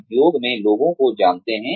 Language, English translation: Hindi, Know the people, in the industry